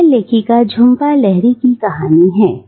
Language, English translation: Hindi, It is a story by the author Jhumpa Lahiri